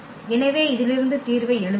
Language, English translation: Tamil, So, writing the solution out of this